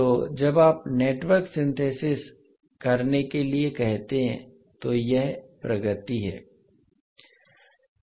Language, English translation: Hindi, So in case of Network Synthesis what we will do